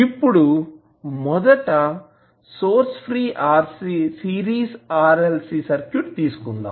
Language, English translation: Telugu, Now, let us first take the case of source free series RLC circuit